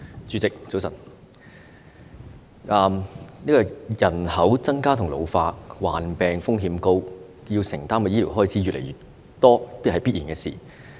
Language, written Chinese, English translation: Cantonese, 主席，早晨，人口增加及老化，加上患病風險高，要承擔的醫療開支越來越多，這是必然的事。, President good morning . With the population increasing and ageing together with the high risk of contracting diseases it is natural that the healthcare expenditure is on the rise